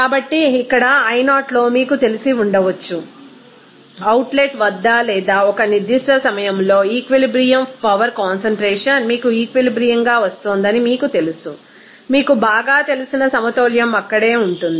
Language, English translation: Telugu, So, here in i0 that may be you know that equilibrium power concentration that is at the outlet or at a certain time when it will be coming as equilibrium that equilibrium you know most will be there in